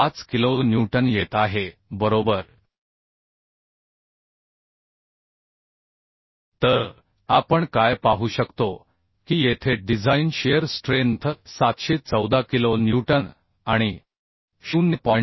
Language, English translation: Marathi, 5 kilo newton right So what will be see that here the design shear strength is becoming 714 kilo newton and 0